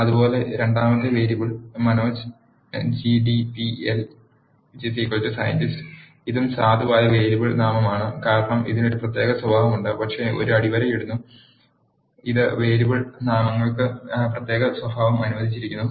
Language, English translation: Malayalam, Similarly, the second variable Manoj underscore GDPL is equal to scientist this is also valid variable name because it has a special character, but it is underscore which is allowed special character for the variable names